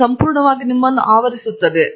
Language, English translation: Kannada, It would completely cover your